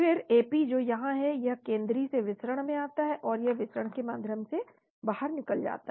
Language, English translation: Hindi, Then Ap that is here, it comes in from the central to the diffusion, again it goes out through the diffusion